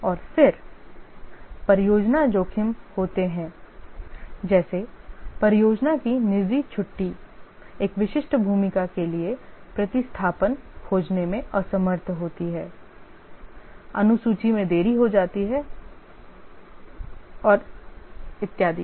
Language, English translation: Hindi, And then there are project risks like project personnel leave, unable to find replacement for a specific role, the schedule gets delayed and so on